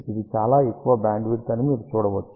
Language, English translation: Telugu, You can see that it is a very large bandwidth